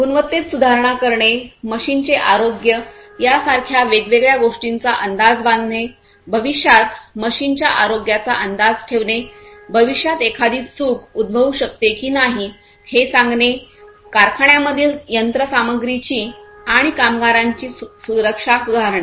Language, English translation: Marathi, Improving the quality, improving the predictive predictability; predictability of different things like the health of the machine; in the future predicting the health of the machine, predicting whether a fault can happen in the future and so on, and improving the safety of the machinery and the safety, overall safety of the workers in the factories